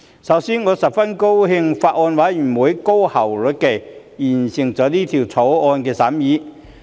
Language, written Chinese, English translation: Cantonese, 首先，我十分高興法案委員會高效率地完成《條例草案》的審議工作。, First of all I am happy to see that the Bills Committee on the National Flag and National Emblem Amendment Bill 2021 completed the scrutiny work of the Bill very efficiently